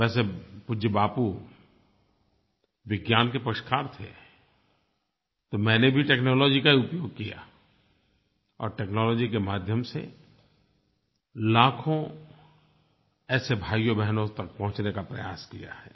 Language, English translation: Hindi, Well, as you knowBapu was a supporter of science, so I also used technology as a medium to reach these lakhs of brothers and sisters